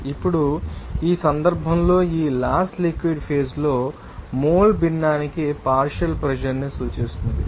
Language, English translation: Telugu, Now, in this case, this law relates the partial pressure to the mole fraction in the liquid phase